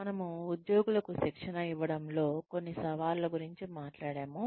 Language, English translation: Telugu, We talked about some challenges, that one can face, in training the employees